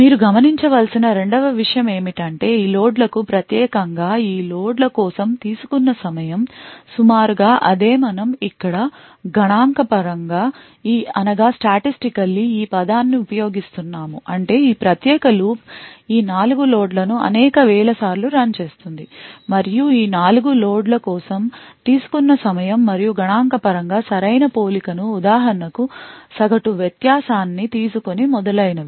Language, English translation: Telugu, The second thing you would notice is that the time taken for these loads versus these loads is approximately the same note that we are using the word statistically over here which would means this particular loop is run several thousands of times and the time taken for these four loads and these four loads are compared statistically right for example taking the average variance and so on